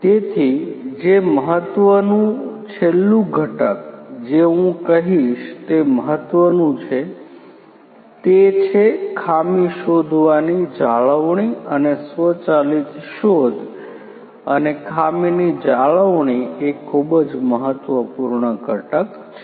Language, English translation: Gujarati, So, what is also important the last component I would say what is important is the fault detection maintenance and automated detection and maintenance of faults is a very important component